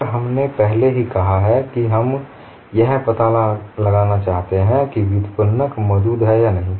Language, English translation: Hindi, And we have already said, we want to find out whether the derivative exists